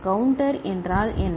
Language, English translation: Tamil, What is a counter